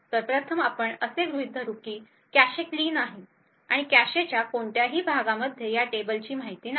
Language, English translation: Marathi, So first let us assume that the cache is clean, and no part of the cache comprises contains any of this table information